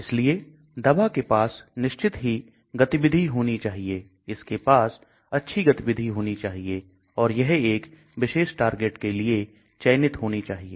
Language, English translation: Hindi, So the drugs should have activity of course, it should have good activity, and it should have selectivity for single target